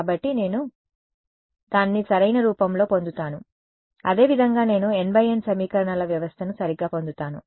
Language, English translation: Telugu, So, I get it in close form right that is how I get my N by N system of equations right